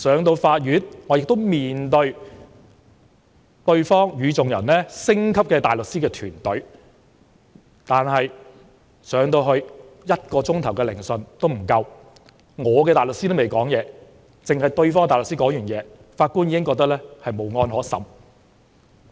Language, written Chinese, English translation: Cantonese, 到法庭時，我也要面對對方星級的大律師團隊，但聆訊進行不足1小時，代表我的大律師尚未開口，對方的大律師發言後，法官已認為"無案可審"。, At the court I faced a star - studded team of barristers hired by my rival . After the barrister of my rival had spoken for an hour the Judge ruled that the accusation was unfounded and my barrister did not have the chance to speak